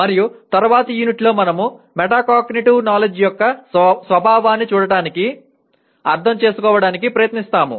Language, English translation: Telugu, And the next unit, we will try to look at, understand the nature of metacognitive knowledge